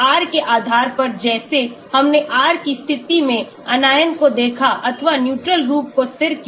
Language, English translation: Hindi, So, depending upon the R like we saw in the position of the R either the Anion or the neutral form is stabilized